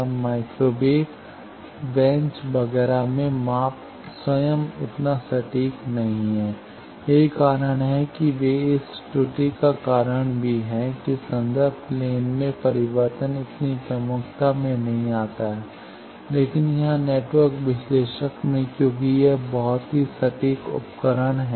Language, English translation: Hindi, Now in microwave bench etcetera the measurement itself is not so precised that is why they are even this errors cause due to that change in reference plane does not come in to such prominence, but here in network analyser since it is a very precising instrumentation